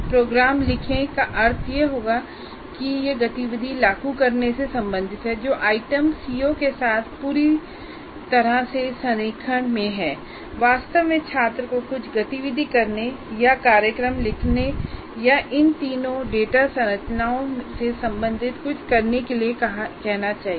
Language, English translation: Hindi, And fairly clear, right programs would mean it belongs to apply activity and the items that are fully in alignment with the CO, the items should actually ask the student to perform some activity or write programs or do something related to these three data structures